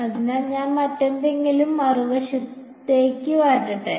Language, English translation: Malayalam, So, let me move everything else on to the other side